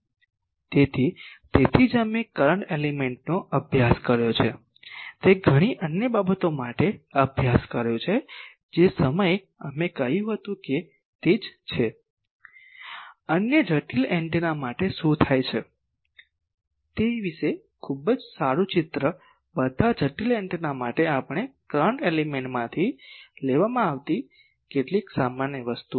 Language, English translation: Gujarati, So, that is why current element we studied we studied for many other things that time we said that it is same gives us, very good picture about what happens for other complicated antennas, for all complicated antennas some general things we derived from current element